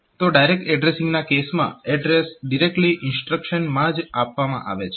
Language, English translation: Gujarati, So, in case of direct addressing the address is directly provided in the instruction itself